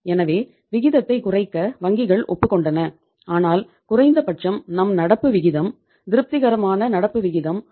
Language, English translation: Tamil, So banks agreed that okay you reduce the ratio but at least your current ratio, the satisfactory current ratio will be considered which is 1